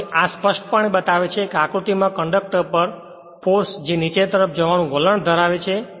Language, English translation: Gujarati, Now, this clearly shows that conductor in figure has a force on it which tends to move in downward